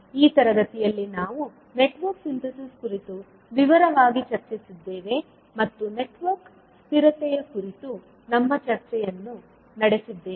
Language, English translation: Kannada, So in this session, we discussed about the Network Synthesis in detail and also carried out our discussion on Network Stability